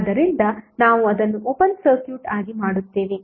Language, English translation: Kannada, So we will simply make it open circuit